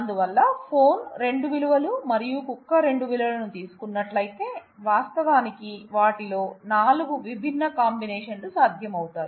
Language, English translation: Telugu, So, it is possible that if phone takes 2 values and dog like takes 2 values, then actually 4 different combinations of them are possible